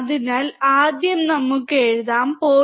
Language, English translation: Malayalam, So, let us first write 0